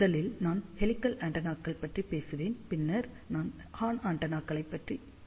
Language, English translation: Tamil, First, I will talk about helical antennas, and then I will cover horn antennas